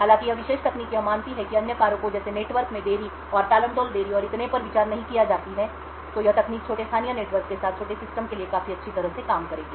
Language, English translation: Hindi, While this particular technique assumes that other factors like network delays and touting delays and so on are not considered, this technique would work quite well for small systems with small local networks